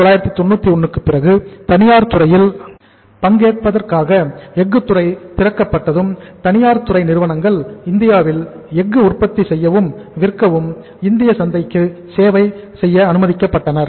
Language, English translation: Tamil, After 1991 when the steel sector was opened for the private sector participation and private sector firms were allowed to manufacture and sell steel in India or serve the Indian market with steel